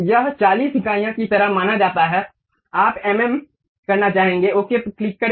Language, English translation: Hindi, This one supposed to be something like 40 units you would like to have mm click ok